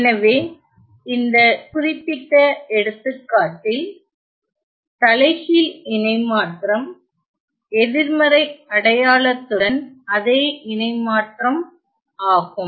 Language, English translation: Tamil, So, in this particular example the transform inverse of the transform is the same transform with a negative sign